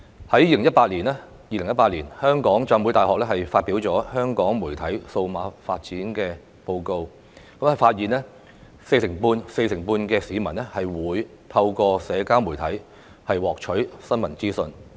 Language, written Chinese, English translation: Cantonese, 香港浸會大學在2018年發表香港媒體數碼發展報告，發現有四成半市民會透過社交媒體獲取新聞資訊。, As revealed in the Hong Kong Digital Media Report published by the Hong Kong Baptist University in 2018 45 % of Hong Kong people would obtain news information through social media